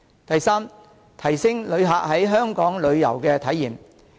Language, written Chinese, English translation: Cantonese, 第三，提升旅客在香港的旅遊體驗。, Third enhance tourists travelling experience in Hong Kong